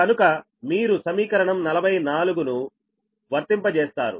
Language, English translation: Telugu, you apply equation forty four